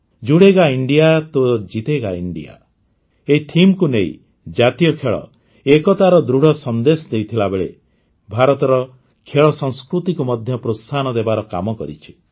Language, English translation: Odia, With the theme 'Judega India to Jeetega India', national game, on the one hand, have given a strong message of unity, on the other, have promoted India's sports culture